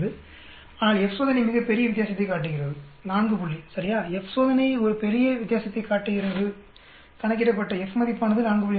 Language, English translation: Tamil, 05 for a one sample t test but the F test shows a very big difference right 4 point F test shows a large difference calculated F is 4